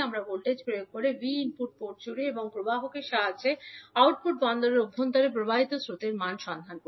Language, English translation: Bengali, We are applying the voltage V across input port and finding out the value of current which is flowing inside the output port with the help of emitter